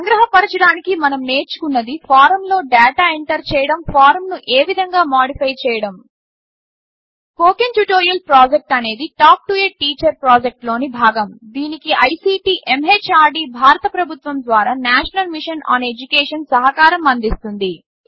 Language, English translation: Telugu, To summarize, we learned: how to enter data in a form,how to Modify a form Spoken Tutorial Project is a part of the Talk to a Teacher project, supported by the National Mission on Education through ICT, MHRD, Government of India